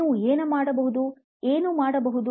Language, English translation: Kannada, What is it that you can do